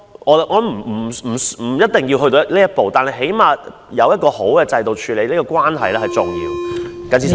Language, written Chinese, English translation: Cantonese, 我認為不一定要走到這一步，但起碼有一個良好的制度處理有關矛盾是重要的。, I think that this step could have been avoided but at least it is very important to have a good system to resolve conflicts